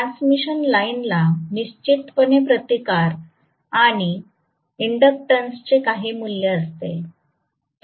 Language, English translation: Marathi, The transmission line has certain value of resistance and inductance definitely right